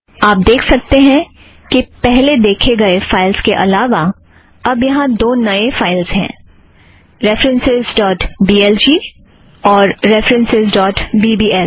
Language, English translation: Hindi, You find that, in addition to the files we saw previously, we have two new files, references.blg and references.bbl